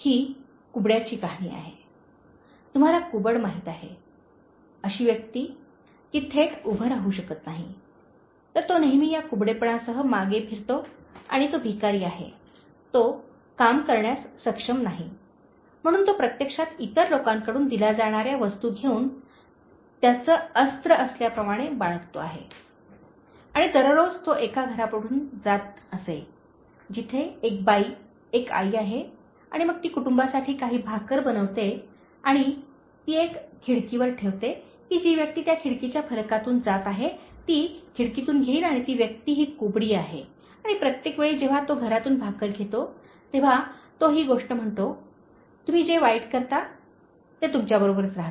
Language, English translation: Marathi, This is a story of a hunchback, so hunchback you know, a person who is not able to stand direct, so he always walks with this hunch back and he is a beggar, so he is not able to work, so he is actually getting things from other people and living by what he gets as arms and every day he happened to pass by one house, where there is a lady, a mother and then she makes some bread for the family and she leaves one set on the window, so that the person who is passing by that window pane, so he can just take from the window and the person happens to be this hunchback and every time he is taking the bread from the house he says this thing “The evil you do, remains with you